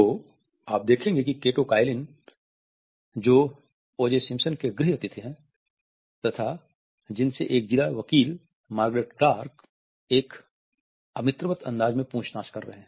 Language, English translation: Hindi, So, you are going to see Kato Kaelin is houseguest of Urge a sentence who is being questioned by Margaret Clark, a district attorney in an unfriendly fashion